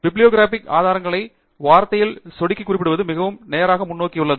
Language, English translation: Tamil, Referencing using bibliographic sources in Word is also quite straight forward